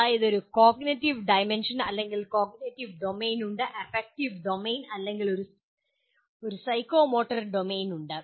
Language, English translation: Malayalam, Namely, there is a cognitive dimension or cognitive domain, there is affective domain, or a psychomotor domain